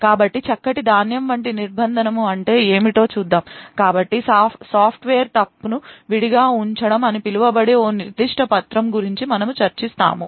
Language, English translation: Telugu, So, let us see what a Fine grained confinement is, so we will be actually discussing a particular paper known as Software Fault Isolation